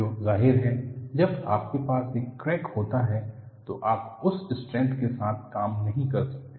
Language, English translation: Hindi, So, obviously, when you have a crack you cannot operate with that strength